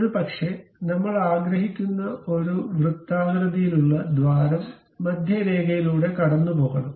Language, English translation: Malayalam, Maybe a circular hole we would like to have and it supposed to pass through center line